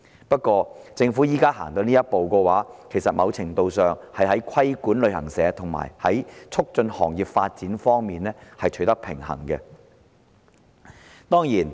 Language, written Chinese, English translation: Cantonese, 不過，政府現時走出這一步，某程度上是要在規管旅行社與促進行業發展之間取得平衡。, Nevertheless to a certain extent the present step taken by the Government can strike a balance between regulating travel agents and promoting the development of the industry